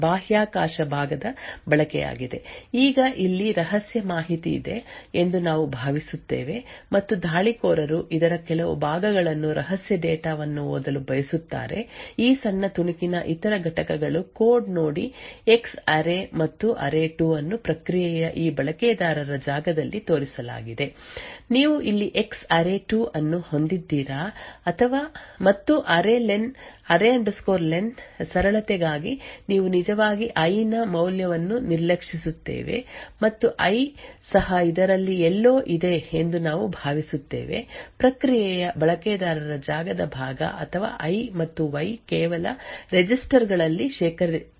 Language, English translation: Kannada, Now what we look at next is the use of space part of the process now we will assume that there is a secret information that is present here and the attackers wants to read some parts of this a secret data the other components of this small snippet of code see the X array and array2 are also shown in this user space part of the process do you have array over here X array2 and also array len for simplicity we have actually ignore the value of I and we assume that I is also present somewhere in this a users space part of the process or you can also assume that I is going to be part of that I and Y are just going to be stored in registers